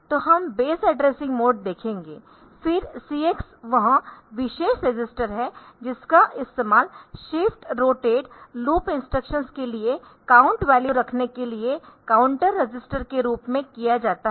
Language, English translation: Hindi, So, therefore, based addressing mode we will see, then the CX is the special function this is for the count it a count register, used as count register for holding the count value for shift rotate loop instructions